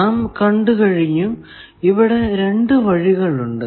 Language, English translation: Malayalam, Now, we have seen, there are two paths